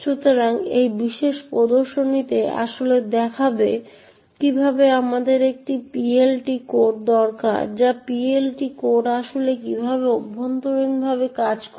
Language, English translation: Bengali, So, this particular demonstration would actually show how would we need a PLT code or rather how PLT code actually works internally